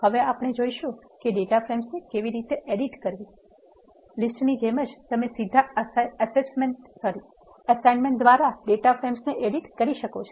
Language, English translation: Gujarati, Now we will see how to edit data frames; much like list you can edit the data frames by direct assignment